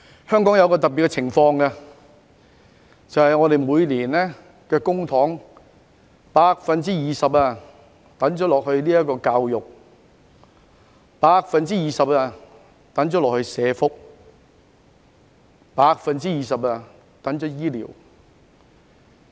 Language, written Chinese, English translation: Cantonese, 香港有一種特別情況，就是政府每年將公帑的 20% 撥給教育、20% 撥給社會福利及 20% 撥給醫療。, It was a rebellion by the scholars . There is a kind of special situation in Hong Kong namely the Governments annual allocation of the public money in the manner of 20 % to education 20 % to social welfare and 20 % to healthcare